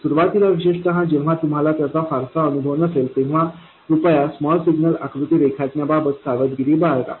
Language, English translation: Marathi, Initially especially when you don't have much experience yet, please be careful about drawing the small signal picture